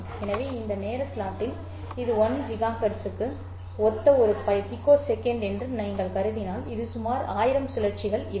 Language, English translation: Tamil, So, which means that in this time slot, if you assume that this is one picosecond corresponding to 1 gigahertz, there would be about 1,000 cycles here